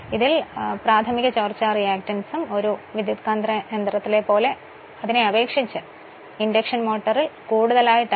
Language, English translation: Malayalam, So, further the primary leakage reactance is also necessarily higher your what you call higher in an induction motor compared to a transformer